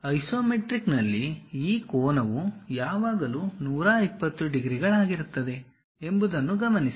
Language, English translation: Kannada, And note that in the isometric, this angle always be 120 degrees